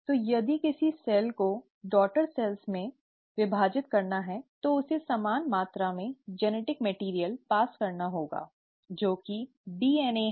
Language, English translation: Hindi, So, if a cell has to divide into two daughter cells, it has to pass on the same amount of genetic material, which is DNA